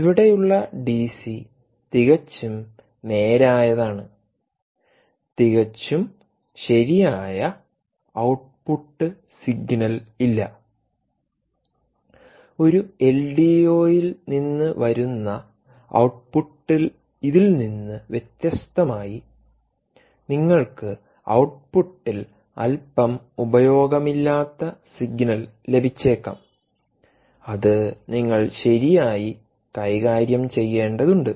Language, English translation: Malayalam, ah, the dc here is indeed pretty straight with ah, no perfect, perfectly output signal, ah, which indeed is ah, noise free, unlike that coming output coming from an ldo, you may get a little bit noisy signal at the output, which essentially you have to deal with